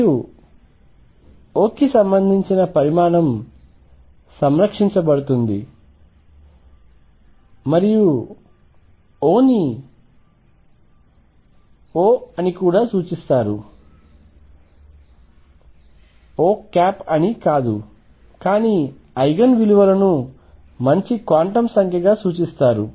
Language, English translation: Telugu, And the quantity corresponding to O is conserved and O is also referred to as O is also referred to as not O, but it is Eigen values are referred to as good quantum number